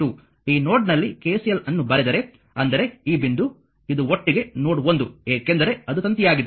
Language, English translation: Kannada, If you write KCL at this node and; that means, this point, this is node 1 together because it is a wire